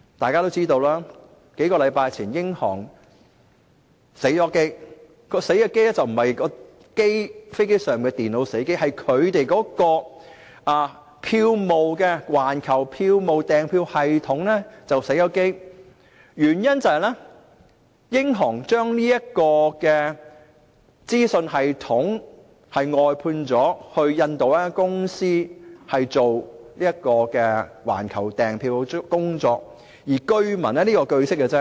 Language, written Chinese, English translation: Cantonese, 大家也知道，在數個星期前，英航出現了故障，當時並非飛機上的電腦故障，而是它的環球票務訂票系統故障，原因是英航把環球票務訂票系統外判給印度一間公司負責。, We all know the glitch which hit British Airways a few weeks ago . The glitch was not caused by malfunctioning computers on aircraft . It was caused by the global ticketing system which British Airways has outsourced its operation to a company in India